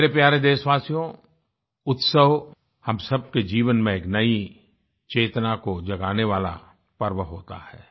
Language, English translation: Hindi, My dear countrymen, festivals are occasions that awaken a new consciousness in our lives